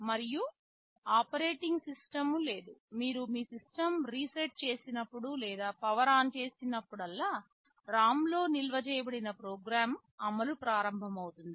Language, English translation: Telugu, And there is no operating system, whenever you reset or power on your system the program which is stored in the ROM starts running